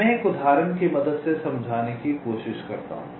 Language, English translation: Hindi, why it is so, let me try to explain it with the help of an example